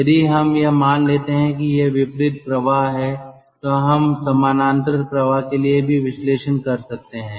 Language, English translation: Hindi, if we assume this, then if we assume counter current flow, one can also do the analysis for parallel flow